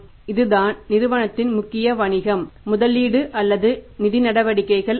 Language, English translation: Tamil, This is a major business of the company not the investing or the financing activities